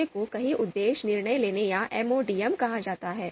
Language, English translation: Hindi, The second one is called multiple objective decision making or MODM